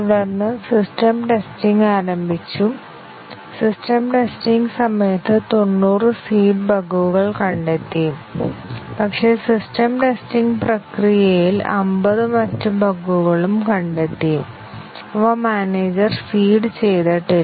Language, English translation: Malayalam, And then, the system testing started and during system testing, 90 of the seeded bugs were found out; but, in the system testing process, 50 other bugs were also found, which were not seeded by the manager